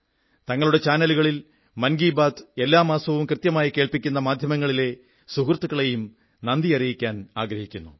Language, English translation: Malayalam, I sincerely thank from the core of my heart my friends in the media who regularly telecast Mann Ki Baat on their channels